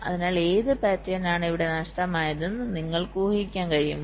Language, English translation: Malayalam, so can you guess which pattern is missing here